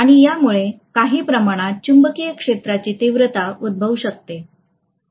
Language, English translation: Marathi, And this is essentially going to cause some amount of magnetic field intensity, okay